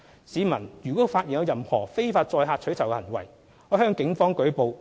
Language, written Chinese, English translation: Cantonese, 市民如發現任何非法載客取酬行為，可向警方舉報。, Members of the public may report to the Police if they find any cases of illegal carriage of passengers for reward